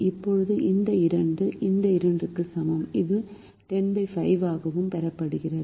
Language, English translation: Tamil, now this two is the same as this two, which was also obtained as ten divided by five